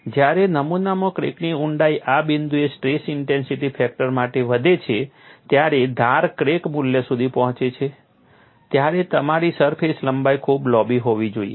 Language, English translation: Gujarati, When the depth of the crack in the specimen increases for the stress intensity factor at this point to reach the edge crack value, you need to have a very long surface length